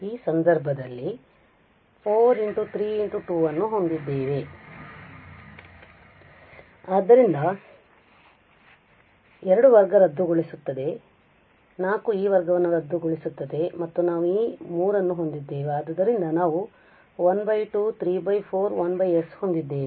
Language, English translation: Kannada, Here in this case we will get so here we have the 4 3 and 2, so 1 2 will cancel this square the 4 will cancel this square and we have this 3 so we have 1 by 2 we have 3 by 4 and then we have 1 by s power 4